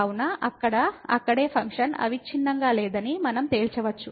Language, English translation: Telugu, So, there itself we can conclude that the function is not continuous